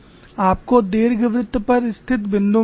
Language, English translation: Hindi, Suppose I want to locate a point on the ellipse